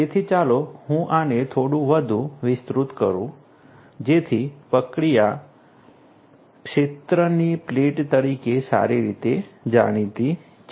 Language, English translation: Gujarati, So, let me elaborate this little bit further so, the process is well known as field to plate right